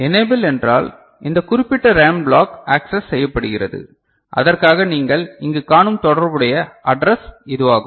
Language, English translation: Tamil, So, enable means this particular RAM block is being accessed and for which this is the corresponding address what you see over here